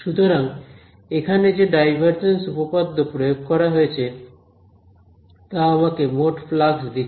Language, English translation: Bengali, So, the divergence theorem applied over here will give me what del dot f d s will give me the total flux